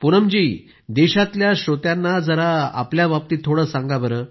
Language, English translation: Marathi, Poonamji, just tell the country's listeners something about yourself